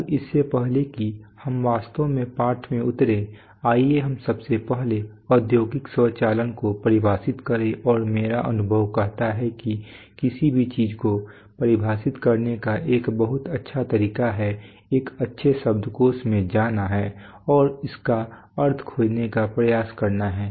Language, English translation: Hindi, Now before we actually plunge into the lesson let us first of all define industrial automation and my experience says that a very good way of defining anything is to, is to go to, and go to a good dictionary and try to find out the meanings of the words which constitute the term